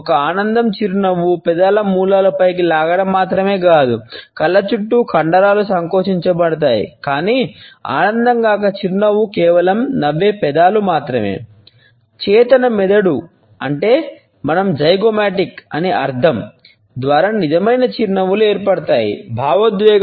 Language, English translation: Telugu, An enjoyment smile, not only lip corners pulled up, but the muscles around the eyes are contracted, while non enjoyment smiles no just smiling lips